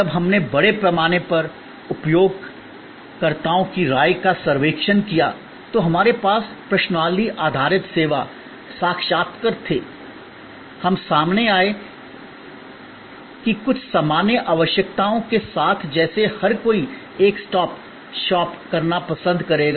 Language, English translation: Hindi, When we extensively surveyed opinion of users, we had questionnaire based service, interviews, we came up that with some general requirements like everybody would prefer to have a one stop shop